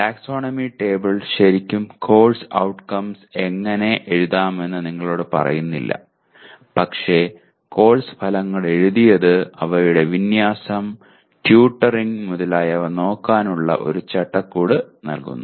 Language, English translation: Malayalam, Taxonomy table really does not tell you how to write Course Outcomes but having written Course Outcomes it will kind of, it provide a framework for looking at the issues of alignment, tutoring and so on